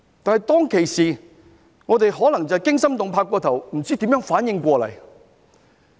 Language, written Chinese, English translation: Cantonese, 但是，當其時我們可能就是過於驚心動魄，不知如何反應過來。, However we might have felt too disturbed at that time that we did not know how to react to such violence